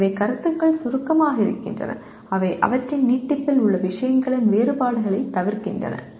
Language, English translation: Tamil, So the concepts are abstracts in that they omit the differences of things in their extension